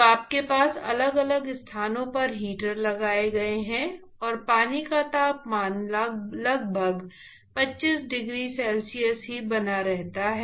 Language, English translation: Hindi, So, you have heaters placed at different locations, and the temperature of the water is maintained just about 25 degree c